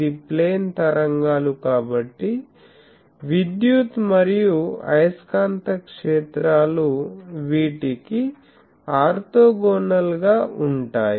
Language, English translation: Telugu, Since, it is plane waves so, electric and magnetic fields are orthogonal to these